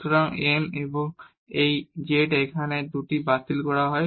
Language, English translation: Bengali, So, n and this is z here and these 2 gets cancelled